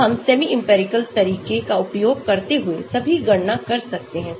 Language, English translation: Hindi, So, we can calculate all that using semi empirical method